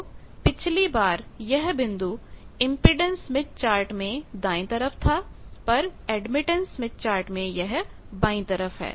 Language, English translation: Hindi, Last time it was right side for impedance smith chart, for admittance smith chart it is left side